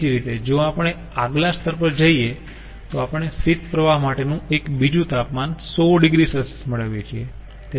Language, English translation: Gujarati, similarly, if we go to the next level, what we will, that one other temperature for the cold stream is a hundred degree celsius